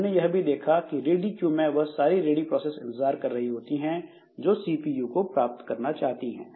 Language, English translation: Hindi, So, we have seen that the ready queue it contains all ready processes waiting for getting the CPU